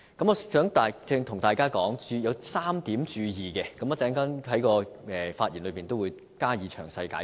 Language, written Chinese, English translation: Cantonese, 我想向大家提出3點要注意之處，我稍後在發言中會加以詳細解釋。, I wish to draw Members attention to three points which I will elaborate on in my speech later